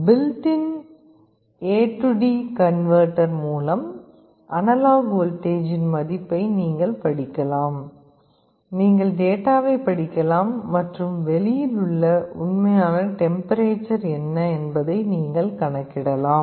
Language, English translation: Tamil, You can read the value of the analog voltage through built in A/D converter, you can read the data and you can make a calculation what is the actual temperature outside